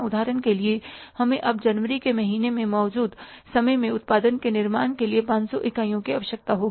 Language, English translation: Hindi, For example, we now need 500 units for say manufacturing the production in the current period in the month of January